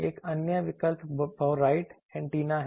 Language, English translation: Hindi, Another option is bowtie antenna